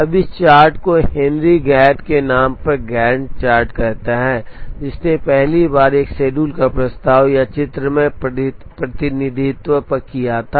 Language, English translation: Hindi, Now this chart is called the Gantt chart named after Henry Gantt who first proposed a chart or a pictorial representation of a schedule